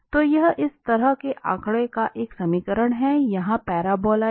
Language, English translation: Hindi, So it is an equation of such figure here paraboloid